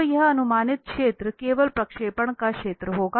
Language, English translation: Hindi, So this projected area will be simply the area of the projection